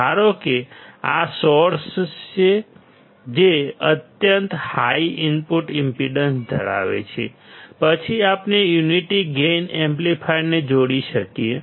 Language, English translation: Gujarati, Suppose the source is this one, which has extremely high input impedance; then we can connect the unity gain amplifier